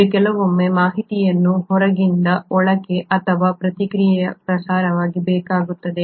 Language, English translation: Kannada, It needs to sometimes relay the information from outside to inside or vice versa